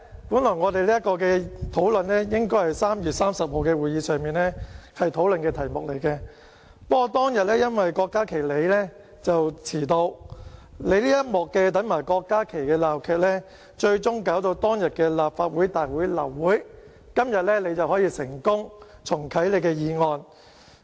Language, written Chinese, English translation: Cantonese, 因為這項議案本來應該是在3月30日會議上討論的，不過當天因為你遲到，因為你這一幕"等埋郭家麒議員"的鬧劇，最終令當天立法會大會流會，而今天你可以成功重啟你的議案。, It is because this motion should originally have been discussed in the meeting on 30 March but you were late on that day . Due to the farce of waiting for Dr KWOK Ka - ki the Legislative Council meeting was aborted at the end and you have succeeded in reactivating this motion today